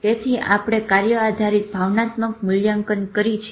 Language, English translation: Gujarati, So, we do task based emotional measurement also